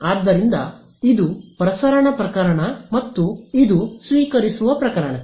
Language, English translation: Kannada, So, this was for the transmission case and this is for the receiving case